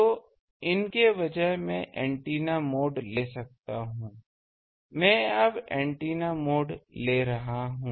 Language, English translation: Hindi, So, instead of these, I can antenna mode, I am now taking antenna mode